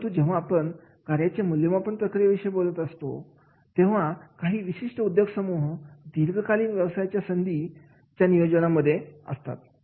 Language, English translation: Marathi, But when we talk about this particular job evaluation process and especially in these industries, they have talked about the long term career planning are to be made